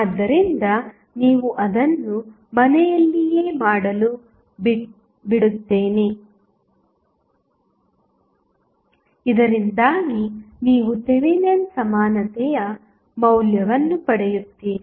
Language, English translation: Kannada, So I will leave it for you to do it at home so, that you get the value of the Thevenin equivalents